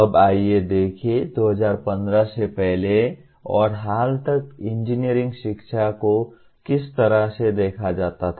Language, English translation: Hindi, Now, let us look at how is the engineering education is looked at until recently that is prior to 2015